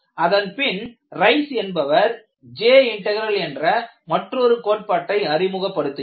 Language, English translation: Tamil, Then you have another concept, which was introduced by Rice, which is known as J integral